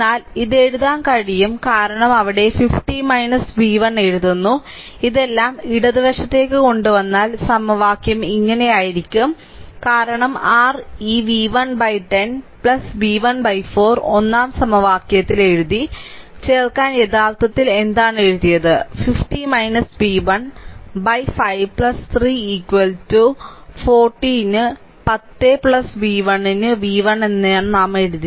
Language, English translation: Malayalam, But you can write it because there it was writing 50 minus v 1, if you bring all this things to the left hand side like this, it will equation will be like this, right because ah your what you call there there are what I wrote this v 1 by 10 plus v 1 by 41st equation, what I wrote actually to add 50 minus ah v 1 by 5 plus 3 is equal to I wrote v 1 upon 10 plus v 1 upon 40, right